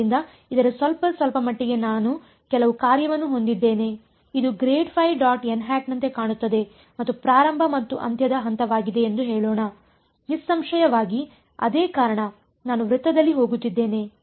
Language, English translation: Kannada, So, its a little bit like this I have some function let say that this is what grad phi dot n hat looks like and the starting and ending point is; obviously, the same because I am going on a circle ok